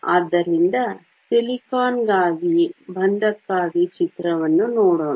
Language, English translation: Kannada, So, let us look at picture for bonding for silicon